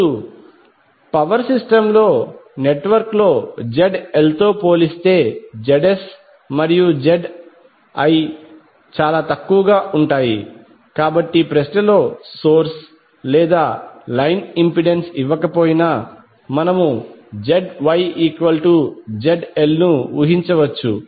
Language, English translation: Telugu, Now in the power system network the ZS and ZL are often very small as compared to ZL, so we can assume ZY is almost equal to ZL even if no source or line impedance is given in the question